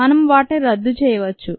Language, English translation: Telugu, we can cancel them out